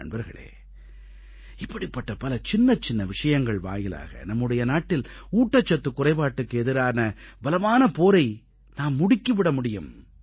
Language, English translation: Tamil, My Friends, there are many little things that can be employed in our country's effective fight against malnutrition